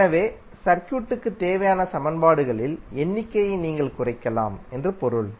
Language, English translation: Tamil, So it means that you can reduce the number of equations required to solve the circuit